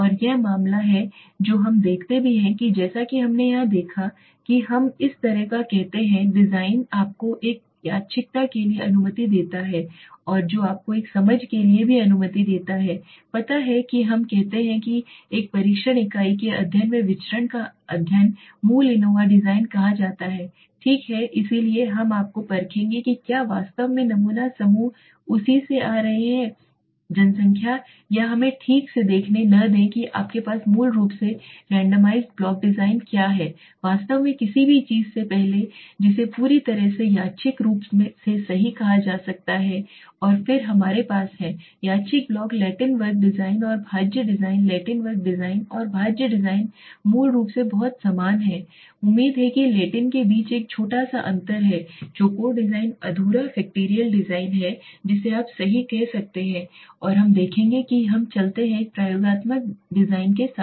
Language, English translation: Hindi, And this is the case which we also see as you have seen the names here we say this kind of a design which allows you for a randomization and which also allows you for a understanding you know study the variance in a study of a test unit we say this is called the basic ANOVA design right so we will test you whether the sample groups are actually falling coming from the same population or not let us see okay what does it have randomized block design you have basically in fact before something which is called completely randomized right and then we have randomized block Latin square design and factorial design Latin square design and factorial design are basically very similar expecting there is a small difference between that is Latin square design is incomplete factorial design you can say right and we will see that so let us go with an experimental design